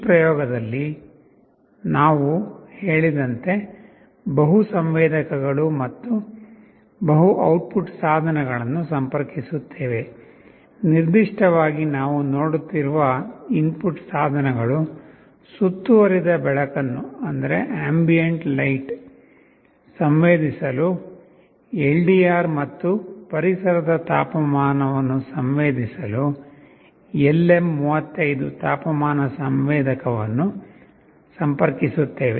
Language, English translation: Kannada, In this experiment as it said we shall be interfacing multiple sensors and multiple output devices; specifically the input devices that we shall be looking at are LDR for sensing ambient light and a LM35 temperature sensor for sensing the temperature of the environment